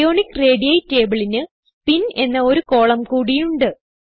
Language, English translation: Malayalam, Ionic radii table has an extra column named Spin